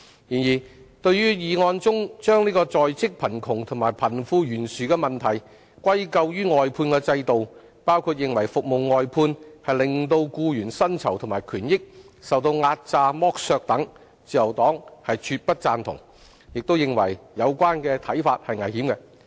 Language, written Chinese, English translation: Cantonese, 然而，對於議案中將在職貧窮和貧富懸殊的問題歸咎於外判制度，包括認為服務外判令僱員薪酬和權益受壓榨剝削等，自由黨絕不贊同，並認為有關看法是危險的。, Nevertheless as to the motion attributing the problems of in - work poverty and disparity between the rich and the poor to the outsourcing system including such arguments that employees have seen their remuneration suppressed and their rights and benefits exploited the Liberal Party absolutely does not agree to them and we consider such views dangerous